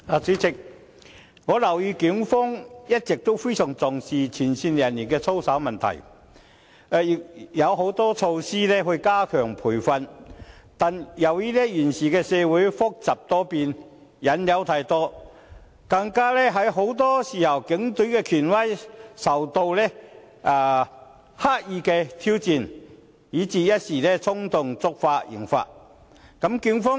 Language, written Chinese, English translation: Cantonese, 主席，我留意到警方一直非常重視前線人員的操守問題，已推出很多措施加強培訓，但由於現時社會複雜多變，引誘太多，加上很多時候，警隊的權威受到刻意挑戰，以致有警員一時衝動，觸犯刑法。, President I have noted that the Police have all along attached great importance to the conduct of frontline officers and rolled out a lot of measures to step up training . However given the present complexity and volatility in society where temptations abound coupled with frequent deliberate challenges to the authority of the Police Force some police officers have consequently breached the criminal law on the spur of the moment